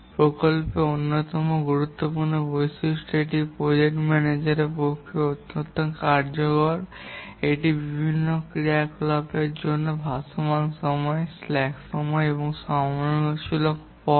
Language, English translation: Bengali, One of the important project characteristic that is very useful to the project manager is the float time or the slack time available for various activities and also the critical path